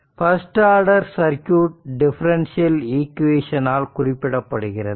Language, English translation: Tamil, A first order circuit is characterized by first order differential equation